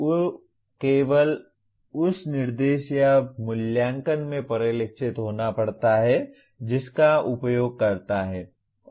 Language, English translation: Hindi, It has to get reflected only in the instruction or assessment that he uses